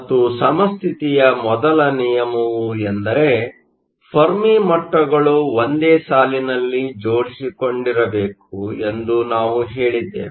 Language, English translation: Kannada, And we said the first rule is at equilibrium the Fermi levels must line up